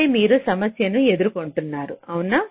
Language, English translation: Telugu, this is where you are posing the problem, right